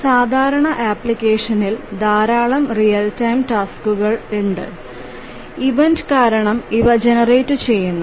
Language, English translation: Malayalam, In a typical application there are a large number of real time tasks and these get generated due to event occurrences